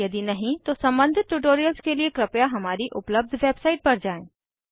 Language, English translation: Hindi, If not, watch the relevant tutorials available at our website